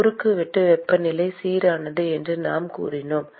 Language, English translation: Tamil, We said that the cross sectional temperature is uniform